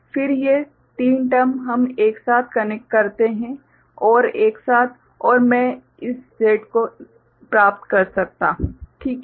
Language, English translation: Hindi, Then these three terms I connect together, OR together and I can get this Z, ok